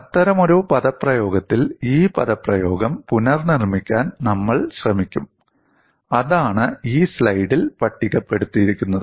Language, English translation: Malayalam, We would try to recast this expression in such a fashion, and that is what is listed in this slide